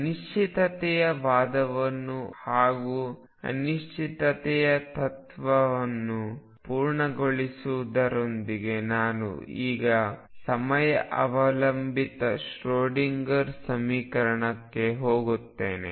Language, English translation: Kannada, With this completion of uncertainty argument uncertainty principle I am now going to go to the time dependent Schroedinger equation